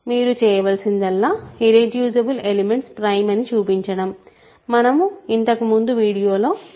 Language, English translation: Telugu, All you need to do is irreducible elements are prime all this was done in the previous videos